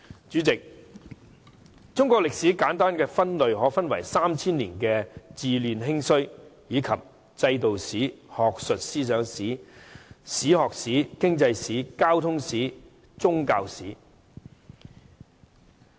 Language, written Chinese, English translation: Cantonese, 主席，中國歷史簡單分類可分為 3,000 年的治亂興衰，以及制度史、學術思想史、史學史、經濟史、交通史及宗教史。, President Chinese history can be simply divided into the following areas the rise and decline of dynasties in a 3 000 - year dynastic cycle; history of institutions; intellectual history; history of historiography; economic history; history of communications; and history of religions